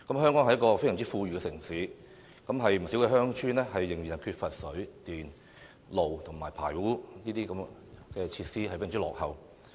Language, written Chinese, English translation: Cantonese, 香港是一個非常富裕的城市，然而，不少鄉村仍然缺乏水、電、道路和排污等設施，非常落後。, However the island still lacks water and electricity supply today . Though Hong Kong is an affluent city many of its villages are still very backward lacking water and electricity supply vehicular access and drainage